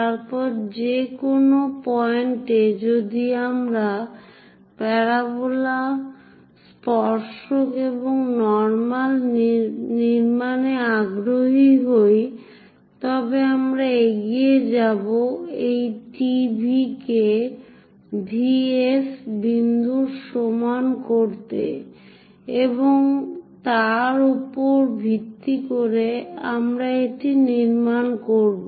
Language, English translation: Bengali, Then at any given point if we are interested in constructing parabola, tangent and normal, we went ahead measure this T V is equal to V S point and based on that we have constructed it